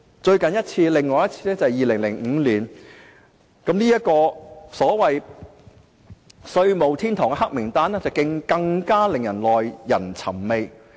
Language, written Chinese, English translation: Cantonese, 香港另一次處於這危機是2015年，這個所謂"避稅天堂"的黑名單更是耐人尋味。, The other crisis of Hong Kong happened in 2015 . The so - called tax haven blacklist is even more intriguing